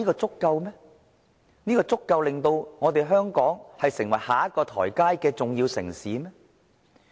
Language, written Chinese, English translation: Cantonese, 這足以令到香港成為下一個發展階段裏的重要城市嗎？, Is that sufficient to make Hong Kong the important metropolis in the next development stage?